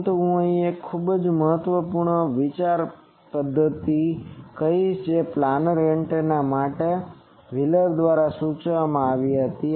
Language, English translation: Gujarati, But now I will say a very important a think method that was suggested by wheeler for this planar antennas